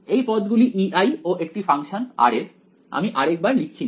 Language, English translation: Bengali, These guys E i is also function of r I am just not writing it over here